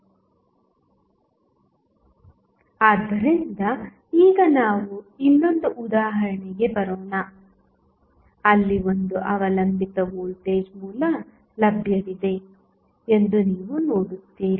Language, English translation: Kannada, So, now, let us come to the another example, where you will see there is 1 dependent voltage source available